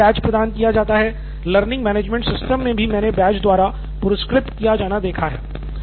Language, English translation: Hindi, In forums they have this badge, also in learning management system also I have seen badges being rewarded